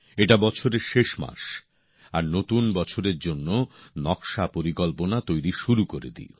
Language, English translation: Bengali, " This is the last month of the year and one starts sketching out plans for the New Year